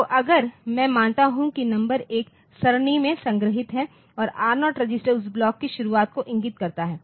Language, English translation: Hindi, So, I assume that the numbers are stored in an array and R0 register points to the beginning of that block, ok